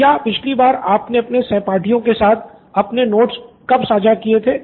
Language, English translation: Hindi, So when was the last time you shared your notes with your classmates